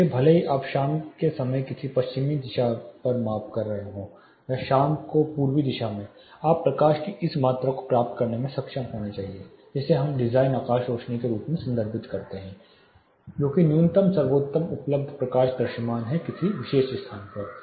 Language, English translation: Hindi, So, even if you are measuring on a western facade in the mornings or eastern facade in the evening, you should be able to get this amount of light that is what we refer as design sky illuminance that is a minimum best available lighting visible light available on a particular location